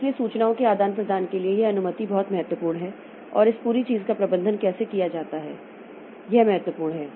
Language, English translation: Hindi, So, this permission for exchange of information that is very important and how this whole thing is managed